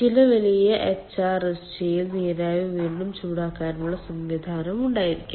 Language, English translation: Malayalam, then in some big hrsg there will be provision um for reheating steam also